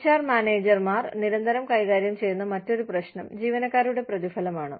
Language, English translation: Malayalam, The other issue, that HR managers, constantly deal with, is employee rewards